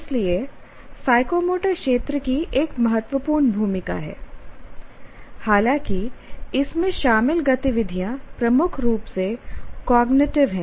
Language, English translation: Hindi, So the psychomotor domain has an important role even though the activities involved are dominantly cognitive